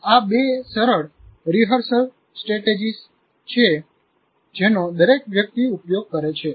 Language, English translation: Gujarati, These two are very familiar rehearsal strategies everybody uses